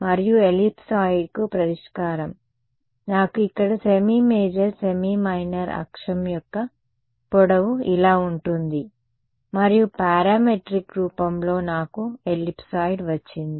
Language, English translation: Telugu, And the solution to the ellipsoid will give me over here the length of the semi major semi minor axis are like this, and in parametric form I got a ellipsoid right